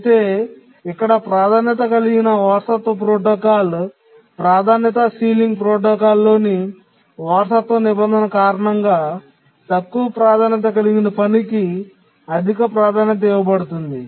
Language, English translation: Telugu, But here, due to the inheritance clause in the priority inheritance protocol, priority sealing protocol, the priority of the low priority task is enhanced to that of the high priority task